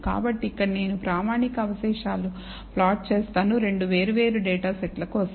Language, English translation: Telugu, So, here I have plotted the standardized residual for 2 different data sets